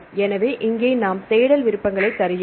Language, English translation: Tamil, So, here we give the search options